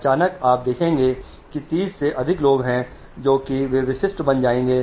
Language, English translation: Hindi, Suddenly you will see more 30 people are there which is, they'll become conspicuous